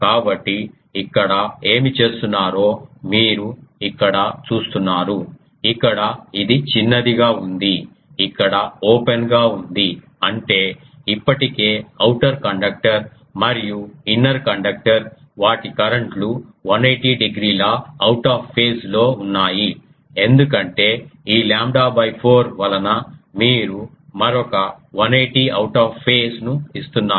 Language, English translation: Telugu, So, whatever here it is doing you see here the here it is shorted here it is open so; that means, already the outer conductor and inner conductor their currents are 180 degree out of phase you are giving another one 180 out of phase because of this lambda by 4